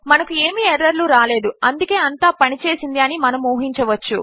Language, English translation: Telugu, Weve got no errors so we can presume that everything has worked